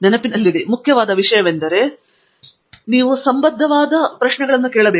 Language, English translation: Kannada, The only thing that is important to keep in mind is you ask relevant questions